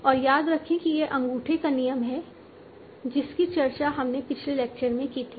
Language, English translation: Hindi, And remember this is the root of thumb that we discussed in the last lecture